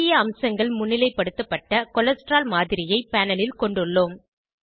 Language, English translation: Tamil, On the panel, we have a model of Cholesterol with important features highlighted